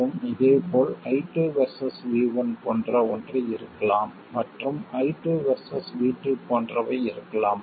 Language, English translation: Tamil, And similarly I2 versus V1 could be something like that